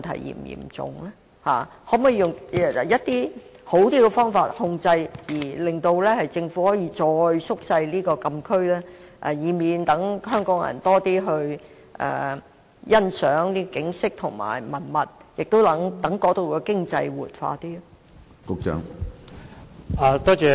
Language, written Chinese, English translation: Cantonese, 可否採用較好的方法來控制，令政府可以進一步縮減禁區範圍，好讓香港人能前往該區欣賞景色和文物，亦有助活化該處的經濟？, Is it possible to control it in better ways so that the Government can further reduce the coverage of the closed area and hence enable Hongkongers to go there for the sceneries and cultural heritage which can in turn help revitalize the local economy?